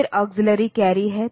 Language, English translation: Hindi, Then there is auxiliary carry